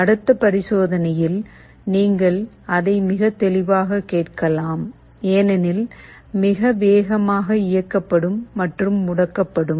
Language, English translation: Tamil, In the next experiment, you can hear it much more clearly because, will be switching ON and OFF much faster